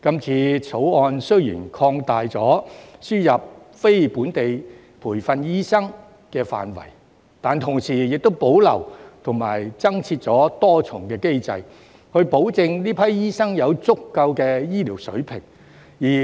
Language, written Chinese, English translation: Cantonese, 《條例草案》雖然擴大了輸入非本地培訓醫生的範圍，但同時保留和增設多重機制，保證這批醫生有足夠醫療水平。, Although the Bill expands the scope of admission of NLTDs it retains and adds multiple mechanisms to ensure that NLTDs are up to professional standards